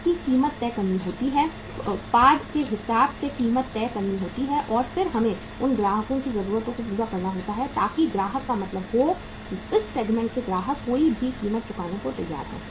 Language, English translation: Hindi, It has to be priced, the product has to be priced accordingly and then we have to serve the needs of those customers so that means customer is, in this segment customer is ready to pay any price